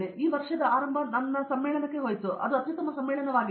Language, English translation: Kannada, So, this beginning of this year I went to a conference in my area that is supposed to be the best conference